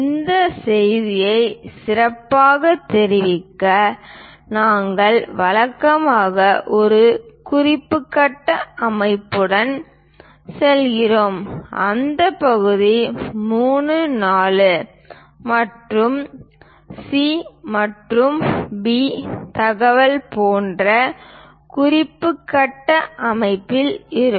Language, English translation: Tamil, To better convey this message we usually go with this reference grid system the part will be in that reference grid system like 3, 4 and C and B information